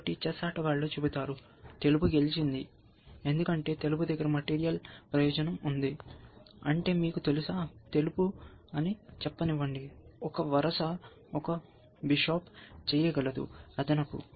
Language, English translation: Telugu, So, chess players will say, white is winning, because white as material advantage, which means you know, white is got let say, one row can one bishop extra